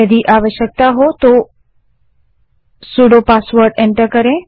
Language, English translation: Hindi, Enter the sudo password if required